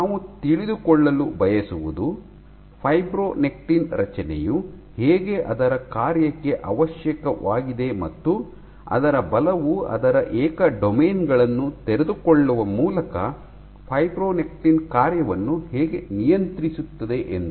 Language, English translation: Kannada, So, what we want to know is to, how the structure of fibronectin is necessary for its function and particularly how forces regulate functioning of fibronectin through unfolding of its individual domains